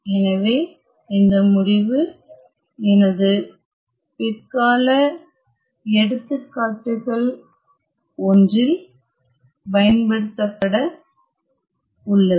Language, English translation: Tamil, So, this result is going to be used in one of my later examples